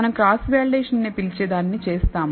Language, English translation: Telugu, So, we do something called cross validation